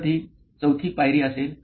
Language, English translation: Marathi, So, that will be step 4